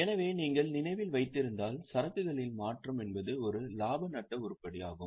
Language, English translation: Tamil, So, change in the inventory if you remember is a profit and loss item